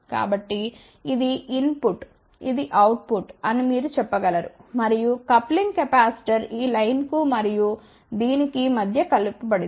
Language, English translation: Telugu, So, this is input you can say this is output and there is a coupling capacitor connected between this line and this here